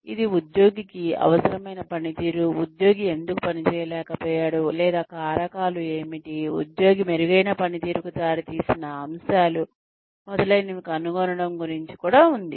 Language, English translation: Telugu, It is also about finding out, what the employee needs, why the employee was not able to perform, or what were the factors, that led to better performance by the employee, etcetera